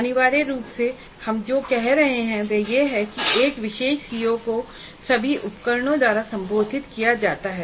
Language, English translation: Hindi, Essentially what we are saying is that a particular CO is addressed by which all instruments